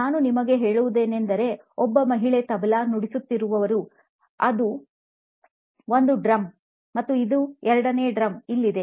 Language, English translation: Kannada, If I can get you to point, there is a lady playing the “Tabla”, it’s one of the drums and the second drum is here